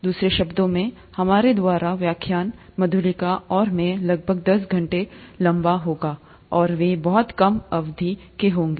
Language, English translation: Hindi, In other words, the lectures by us, Madhulika and I, would be about ten hours long, and they would be of much shorter duration